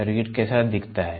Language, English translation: Hindi, How does the circuit look like